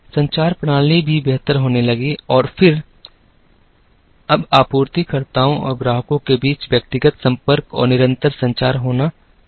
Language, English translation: Hindi, The communication systems also started getting better and then, it is now possible to have a personal touch and constant communication between suppliers and the customers